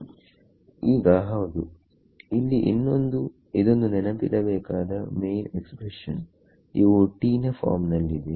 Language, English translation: Kannada, Now, yeah so here is the other this is the main expression that we have to keep in mind what is the form of T itself